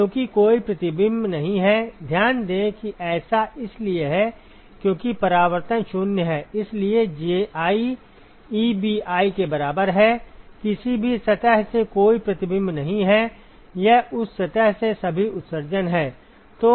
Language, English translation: Hindi, Because there is no reflection, note that this is because reflectivity is 0 that is why Ji is equal to Ebi there is no reflection from any surface it is all the emission that from that surface